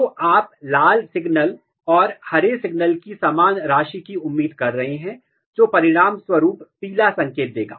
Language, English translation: Hindi, So, you are expecting same amount of red signal, same amount of green signal and the result will be yellow signal here